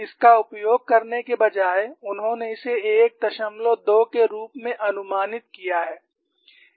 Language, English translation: Hindi, 12 instead of using this, they have approximated this as 1